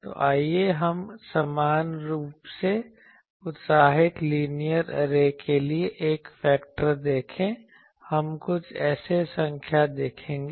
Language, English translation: Hindi, So, let us see the array factor for an equally spaced, uniformly excited linear array for we will see few array numbers